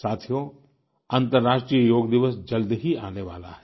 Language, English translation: Hindi, 'International Yoga Day' is arriving soon